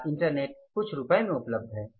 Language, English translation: Hindi, Today internet is available at for a few rupees